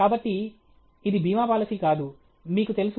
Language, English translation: Telugu, So, it is not an insurance policy, you know